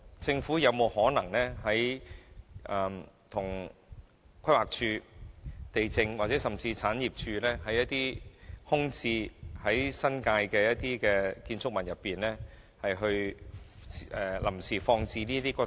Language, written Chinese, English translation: Cantonese, 政府有沒有可能安排在規劃署、地政總署或產業署位於新界的空置建築物內，臨時放置這些骨灰？, Is it possible for the Government to identify certain vacant buildings of PlanD LandsD or the Government Property Agency in the New Territories for temporary storage of ashes?